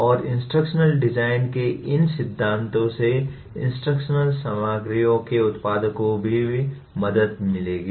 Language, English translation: Hindi, And these principles of instructional design would also help producers of instructional materials